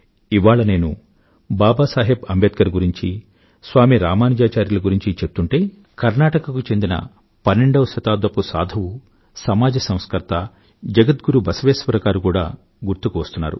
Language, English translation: Telugu, Today when I refer to Babasaheb, when I talk about Ramanujacharya, I'm also reminded of the great 12th century saint & social reformer from Karnataka Jagat Guru Basaveshwar